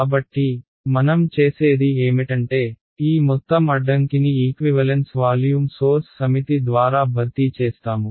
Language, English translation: Telugu, So, what I have done is I have replaced this entire obstacle by a set of equivalent volume sources right